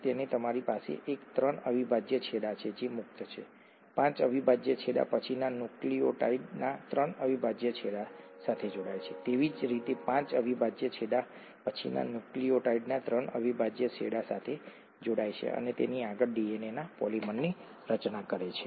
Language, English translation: Gujarati, So you have one three prime end that is free, the five prime end attaches to the three prime end of the next nucleotide, similarly the five prime end attaches to the next, to the three prime end of the next nucleotide and so on and so forth to form the polymer of DNA